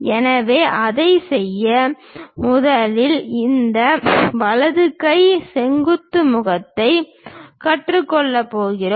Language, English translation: Tamil, So, to do that, we are going to first of all learn this right hand vertical face